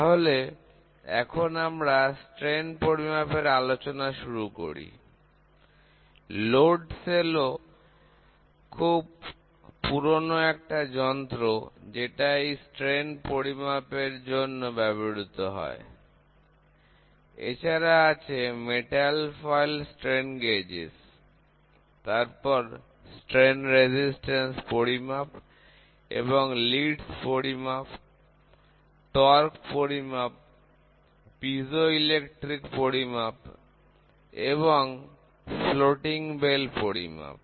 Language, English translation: Bengali, So, we will try to have the introduction for strain measurement, then load cell which is a very primitive equipment, which is used for measuring the strains then metal foil strain gauges, then strain resistance measurement, then leads measurement, then torque measurement, piezoelectric measurement, and floating bell measurement